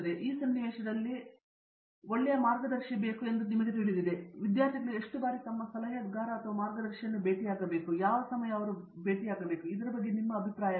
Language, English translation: Kannada, So in this context, what do you think is a you know good guideline for; how often students should be meeting their adviser or guide and how does it maybe change with time or what is your opinion on this